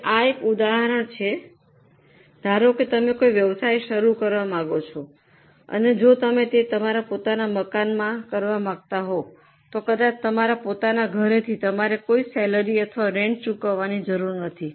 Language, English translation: Gujarati, Now here is an example that suppose you want to start a business and if you go for doing it from your own premises, from your own house maybe, you are not paying any salary now, sorry, you are not paying any rent now